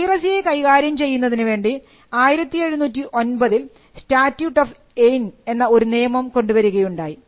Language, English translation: Malayalam, And we find that the statute of Anne was passed in 1709 to tackle the issue of piracy